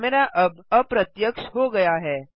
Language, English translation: Hindi, The camera is now hidden